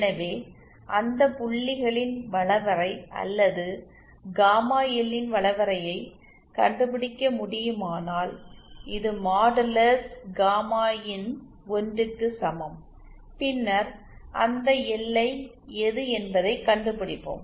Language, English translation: Tamil, So if we can find out the locus of those points, or locus of gamma L which modulus gamma in is equal to 1, then we find out which is that boundary